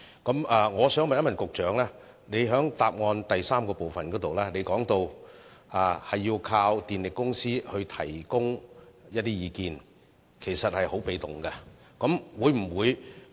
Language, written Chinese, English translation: Cantonese, 局長，主體答覆第三部分說要依靠電力公司提供意見，這其實是很被動的做法。, Secretary according to part 3 of the main reply customers would rely on power companies advice which is actually a rather passive approach